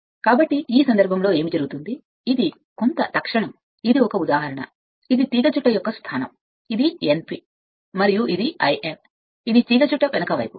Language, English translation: Telugu, So, in this case what will happen that this is your some instant this is some instance this is the position of the coil, this is your N p, and this is your l N this is the back side of the coil